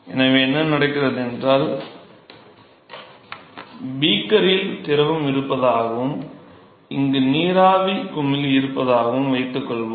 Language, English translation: Tamil, Now what happens is here suppose let us say there is fluid which is present in this location and there is vapor bubble which is present here